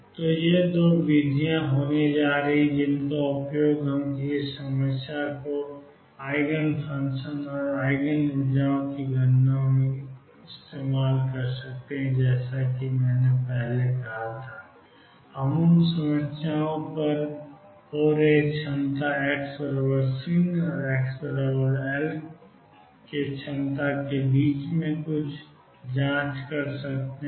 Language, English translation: Hindi, So, these are going to be the 2 methods which we use in calculating the eigenfunctions and Eigen energies of a given problem a right now as I said earlier we have occurring on problems where the potential could be anything between x equals 0 and x equals l, but it is going to be infinity outside that region